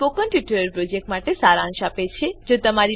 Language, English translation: Gujarati, It s ummarizes the Spoken Tutorial project